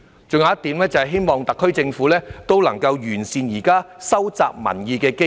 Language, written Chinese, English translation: Cantonese, 還有一點，是希望特區政府能夠完善現時收集民意的機制。, Furthermore they hope that the Government can improve the existing mechanism for collecting public views